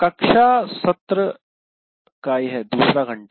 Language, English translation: Hindi, So the class session is first hour